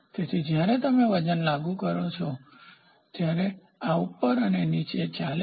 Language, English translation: Gujarati, So, when you apply weight, you apply weight, this fellow moves up and down